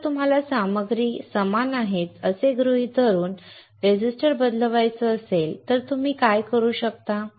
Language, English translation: Marathi, But if you want to change the resistance assuming that the material is same, then what you can do